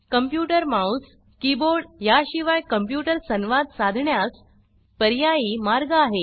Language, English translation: Marathi, The computer mouse is an alternative way to interact with the computer, besides the keyboard